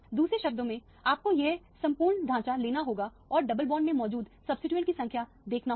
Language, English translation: Hindi, In other words you have to take this entire skeleton and look at the number of substituents that are present in the double bonds